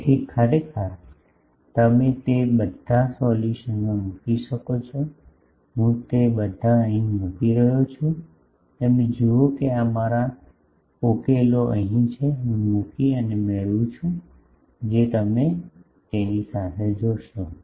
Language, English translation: Gujarati, So, you can put in our all those solution actually, I am putting all those here, you see these are my solutions here, I am putting and getting if you see with that